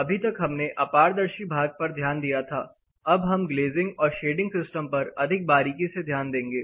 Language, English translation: Hindi, So far, we have talked about the opaque component, opaque wall system; here we will look more closely in to the glazing and shading system